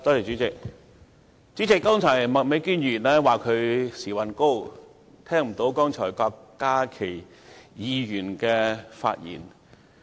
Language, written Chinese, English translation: Cantonese, 主席，麥美娟議員說她時運高，聽不到郭家麒議員剛才的發言。, Chairman Ms Alice MAK said she was lucky enough to have missed Dr KWOK Ka - kis speech just now